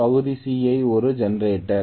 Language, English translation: Tamil, Part C is generator okay